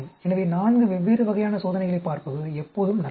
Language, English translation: Tamil, So, it is always better to look at four different types of experiments